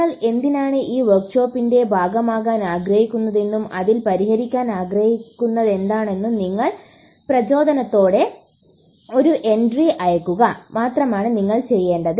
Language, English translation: Malayalam, All you need to do is send in an entry with your motivation on why you want to be part of this workshop and what is it that really want to be solving it